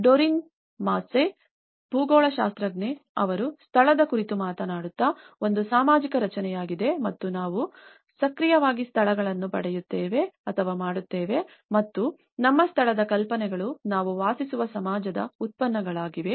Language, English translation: Kannada, Doreen Massey, a geographer she talked about place is a social construct and we actively make places and our ideas of place are the products of the society in which we live